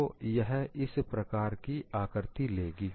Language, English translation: Hindi, So, this will take a shape like this